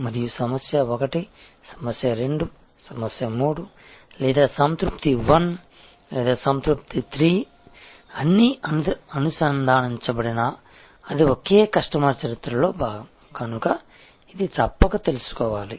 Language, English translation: Telugu, And whether the problem 1, problem 2, problem 3 or satisfaction 1 or satisfaction 3, they are all connected it is part of the same customer history and therefore, it must be known